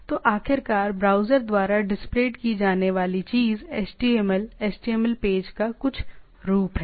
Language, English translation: Hindi, So, the finally, the thing which is displayed by the browser is a HTML, some form of a HTML page